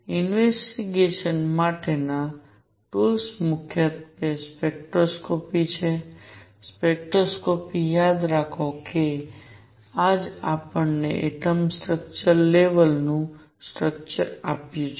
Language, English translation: Gujarati, The tools for investigation are mainly spectroscopy, spectroscopy remember this is precisely what gave us the atomic structure the level structure